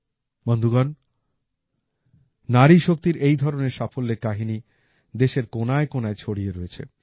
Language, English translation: Bengali, Friends, such successes of women power are present in every corner of the country